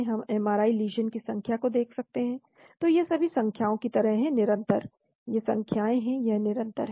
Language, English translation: Hindi, We can look at number of MRI lesions, so these are all more like numbers, continuous, these are numbers, this is continuous